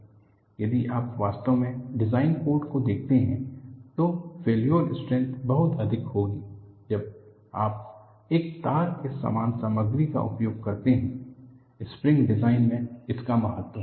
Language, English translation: Hindi, If you really look at the design codes, the failure strength will be much higher when you use the same material as a wire; that is accounted for in spring design